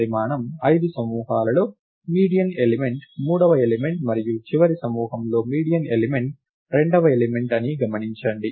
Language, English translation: Telugu, Observe that in the groups of size 5, the median element is the third element, and the last group the median element is the second element